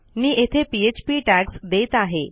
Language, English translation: Marathi, I am creating my PHP tags here